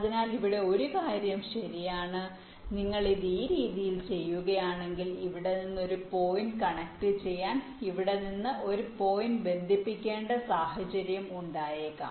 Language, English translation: Malayalam, so here one thing is true: that if you do it in this way, there may be a situation where you need to connect a point from here to a connect, say, say, some point here, let say you want to connect here to here